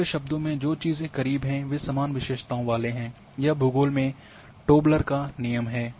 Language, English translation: Hindi, In other words things that are close together tend to have similar characteristics; this is a Tobler’s Law of Geography